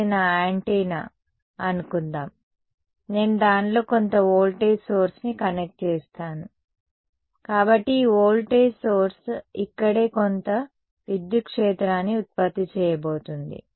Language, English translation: Telugu, Supposing this is my antenna ok, I have connected some voltage source across it, so this voltage source is going to produce some electric field inside over here right